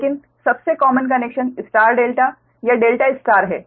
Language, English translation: Hindi, but the most common connection is the star delta or delta star right